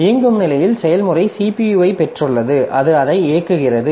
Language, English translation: Tamil, So, in the running state, so process has got the CPU and it is executing it